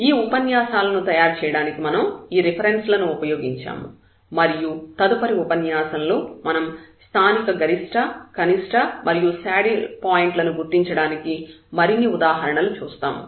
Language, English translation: Telugu, So, these are the references we have used to prepare these lectures and in the next lecture now we will see more such examples to identify the local the behavior for the local maxima minima and the saddle point